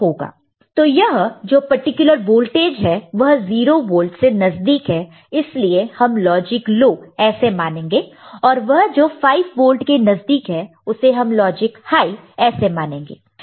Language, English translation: Hindi, So, this particular voltage which is close to 0 volt, we shall treat it as logic low and voltages which is close to 5 volt little bit, treated as logic high